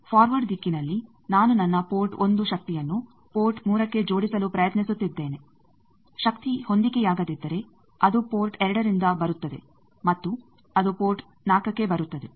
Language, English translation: Kannada, In forward direction I am trying to couple my port 1 power to port 3, if the power is mismatched it will come from port 2 it will come to port 4